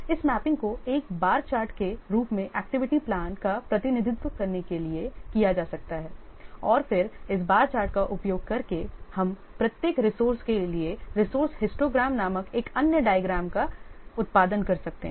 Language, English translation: Hindi, So this mapping can be done by representing the activity plan as a bar chart and then using this bar chart we can produce another diagram called the resource histogram for each resource